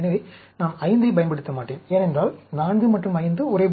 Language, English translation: Tamil, So, I will not use 5, because, 4 and 5 look similar